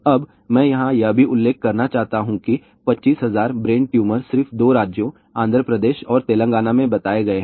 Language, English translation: Hindi, Now, I want to also mention here 25000 brain tumors have been reported in just two states , Andhra Pradesh and Telangana